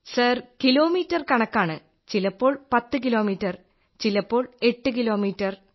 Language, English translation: Malayalam, Sir in terms of kilometres 10 kilometres; at times 8